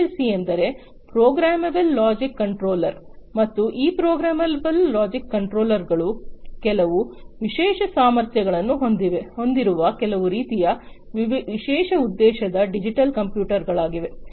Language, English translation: Kannada, PLC stands for Programmable Logic Controller and these programmable logic controllers are some kind of special purpose digital computers that have certain special capabilities